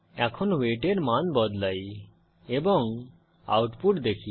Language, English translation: Bengali, Now let us change the weight to 40 and see the output